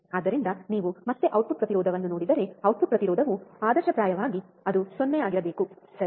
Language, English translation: Kannada, So, if you again see output impedance, output impedance ideally it should be 0, right